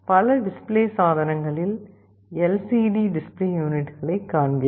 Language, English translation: Tamil, In many display devices, we see LCD display units